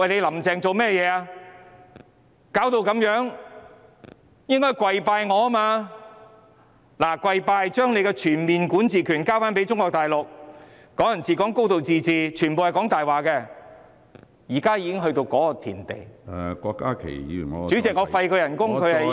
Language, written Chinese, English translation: Cantonese, 弄成這個樣子，應該向他跪拜才對，並且要將全面管治權交給中國大陸，"港人治港"、"高度自治"全部都是謊言，現在已經到了這個地步......, She should have kowtowed to him and handed over the overall jurisdiction over Hong Kong to Mainland China . Hong Kong people ruling Hong Kong and a high degree of autonomy are all lies